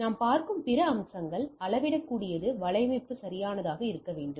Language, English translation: Tamil, Other aspects what we look at is the scalability right the network should be scalable right